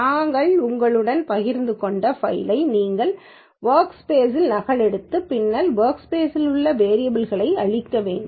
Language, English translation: Tamil, You need to copy the file which we have shared with you into the working directory and clear the variables in the workspace